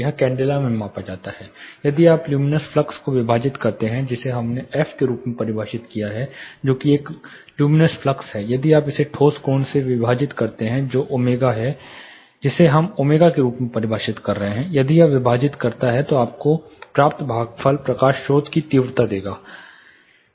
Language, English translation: Hindi, This is measured in candela, if you divide the luminous flux that we defined as f which is a luminous flux, if you divide it with the solid angle that is omega which we are defining as omega if you divide this, the quotient what you get is the intensity of light source